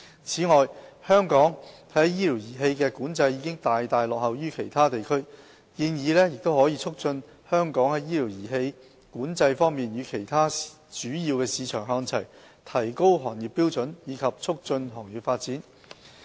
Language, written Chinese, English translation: Cantonese, 此外，香港在醫療儀器的管制已大大落後於其他地區，建議可促使香港在醫療儀器管制方面與其他主要市場看齊，提高行業標準及促進行業發展。, Besides Hong Kong has far lagged behind other places in terms of regulating medical devices . The proposal will help bring Hong Kong on par with other major markets in the regulation of medical devices thus raising industrial standards and facilitating development of the industry